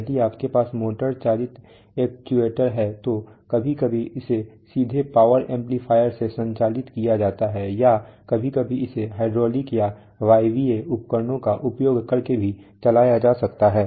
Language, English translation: Hindi, So we can have, if you have a motor driven actuator then sometimes it is driven directly from the power amplifier or sometimes it may be driven from it maybe even using hydraulic or pneumatic devices